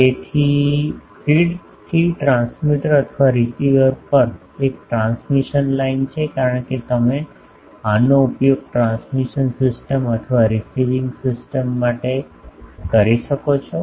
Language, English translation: Gujarati, So, a transmission line from the feed to the transmitter or receiver because you are you may be using this for a transmitting system or a receiving system